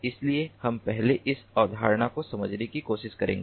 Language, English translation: Hindi, so we will try to understand this concept first